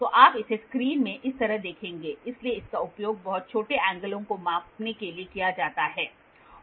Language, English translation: Hindi, So, you will see this in the screen like this, so this is used for measuring very small angles